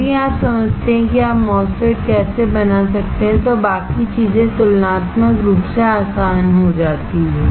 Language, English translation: Hindi, If you understand, how you can fabricate the MOSFETs, the rest of these things becomes comparatively easy